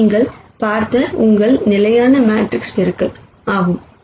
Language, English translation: Tamil, This is your standard matrix multiplication that you have seen